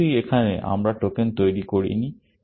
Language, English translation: Bengali, Of course, here, we have not created the tokens